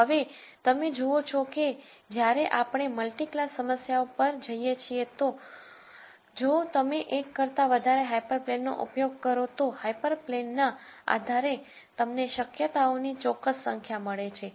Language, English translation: Gujarati, So, now, you see that when we go to multi class problems if you were to use more than one hyper plane then depending on the hyper planes you get a certain number of possibilities